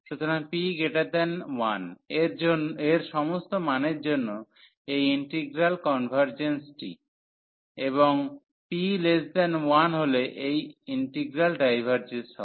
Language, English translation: Bengali, So, for all values of p greater than 1, this integral convergence; and p less than or equal to 1, this integral diverges